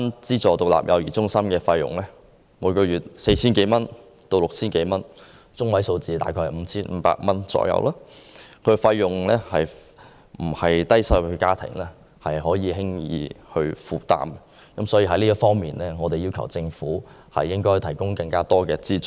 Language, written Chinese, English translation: Cantonese, 資助獨立幼兒中心每月的收費由 4,000 至 6,000 多元不等，中位數約為 5,500 元，並非低收入家庭可負擔得來，所以我們要求政府向低收入家庭提供更多有關資助。, The monthly fees charged by aided standalone CCCs range from 4,000 to 6,000 - odd with a median of about 5,500 which is beyond the means of those low - income families . Thus we asked the Government to provide more financial support to low - income families